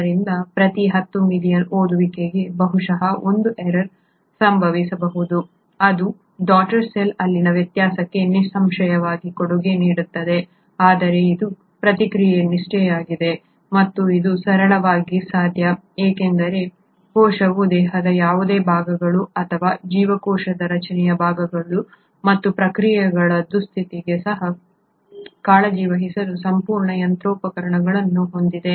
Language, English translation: Kannada, So for every 10 million reads, probably a 1 error may happen which obviously contributes to the variation in the daughter cell, but this is the fidelity of the process and this is simply possible because the cell has complete machinery to take care of even the repair of any parts of the body or the parts of the cell structure as well as the processes